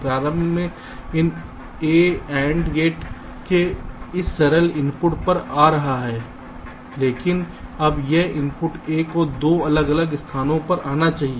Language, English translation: Hindi, initially this input a was coming to this single input of nand gate, but now this input a must come to two different places